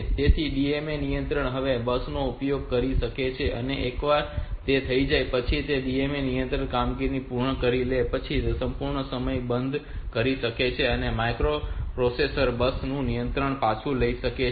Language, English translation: Gujarati, So, DMA controller can now use the bus and once it is done once the DMA controller has finished the operation it can turn off the whole time and the microprocessor can take back the control of the bus, so will explain it with respect to one DMA controller